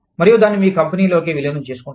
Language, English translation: Telugu, And, integrate it, into your company